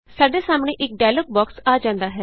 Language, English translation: Punjabi, A dialog box appears in front of us